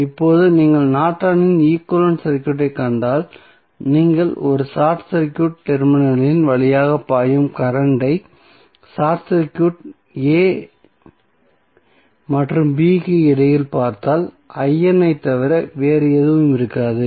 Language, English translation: Tamil, Now, if you see the Norton's equivalent circuit now if you short circuit a and b the current flowing through the short circuit terminal that is between a, b would be nothing but I N why